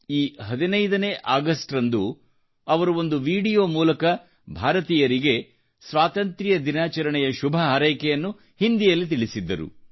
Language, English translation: Kannada, On this 15th August, through a video in Hindi, he greeted the people of India on Independence Day